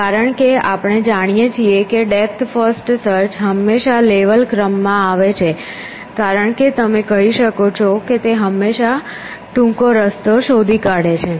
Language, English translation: Gujarati, Because we know that depth first search in this order always level order as you all also call it always find the shortest path